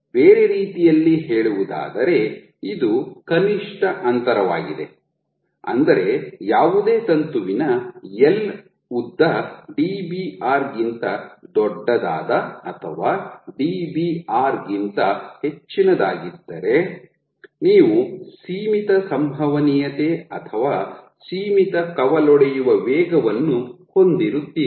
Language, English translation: Kannada, So, in other words this is the minimum distance which means that for any filament length L greater than Dbr or greater equal to Dbr, you have a finite probability of or you have a finite branching rate